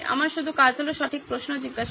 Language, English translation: Bengali, My job is to ask the right questions